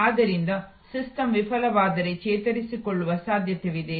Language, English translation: Kannada, So, if the system fails then will there be a possibility to recover